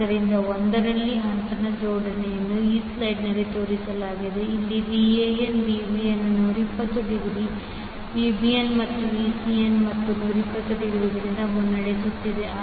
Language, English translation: Kannada, So in 1 such arrangement is shown in this slide, where Van is leading Vbn by 120 degree and Vbn is again leading Vcn and by 120 degree